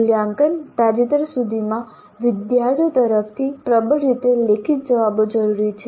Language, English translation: Gujarati, Assessment until recently required dominantly written responses from the students